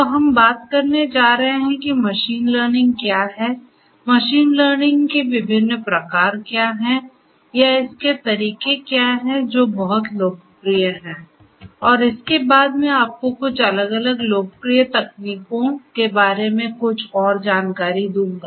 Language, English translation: Hindi, So, we are going to talk about what machine learning is, what are the different types or methodologies in machine learning which are very popular and thereafter I am going to give you little bit of more idea about some of the different popular techniques that are there